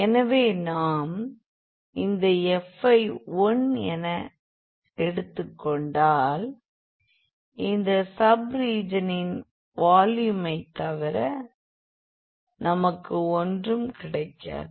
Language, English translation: Tamil, So, by considering this f as 1 we will get nothing, but the volume of that sub region again